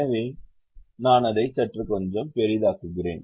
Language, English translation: Tamil, so let me go to this try and let me also zoom it little bit